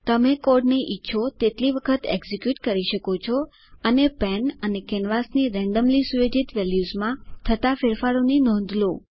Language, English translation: Gujarati, You can execute the code how many ever times you want and note the changes in the randomly set values of the pen and canvas